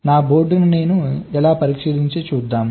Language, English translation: Telugu, how do i test my board this